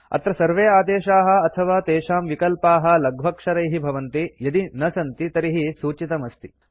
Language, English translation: Sanskrit, Here all commands and their options are in small letters unless otherwise mentioned